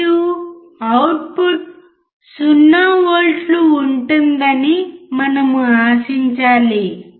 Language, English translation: Telugu, And we should expect the output to be 0 volts